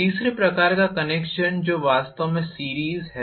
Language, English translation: Hindi, The third type of connection which is actually series